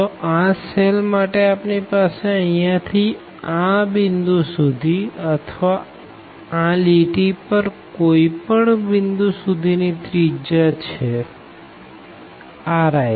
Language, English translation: Gujarati, So, for this cell we have the radius from here to this point or any point on this line here it is r i